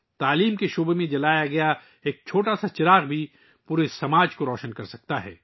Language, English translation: Urdu, Even a small lamp lit in the field of education can illuminate the whole society